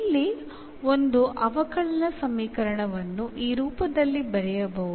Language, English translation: Kannada, So, here if a differential equation can be written in this form